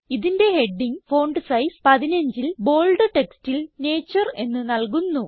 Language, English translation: Malayalam, We will give its heading as Nature in bold text with font size 15